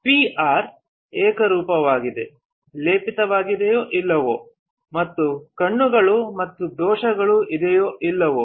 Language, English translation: Kannada, Whether the PR is uniformly coated or not, and whether there are particles and defects or not